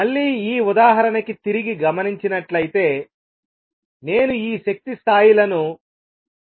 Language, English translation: Telugu, For example again going back to this example I will make these energy levels